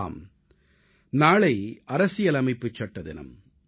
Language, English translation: Tamil, Yes, tomorrow is the Constitution Day